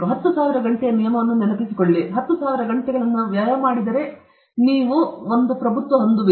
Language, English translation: Kannada, Do remember that 10,000 hour rule; if you spend 10,000 hours, you have it already